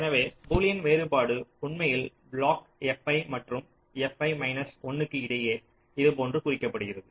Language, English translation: Tamil, so the boolean difference is actually denoted like this: between block f i and f i minus one